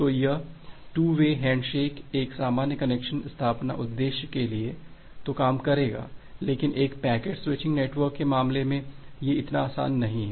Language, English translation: Hindi, So this 2 way hand shaking is likely to work for a normal connection establishment purpose, but our life is not very simple in case of a packet switching network